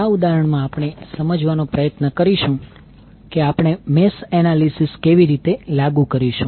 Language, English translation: Gujarati, In this example, we will try to understand how we will apply the mesh analysis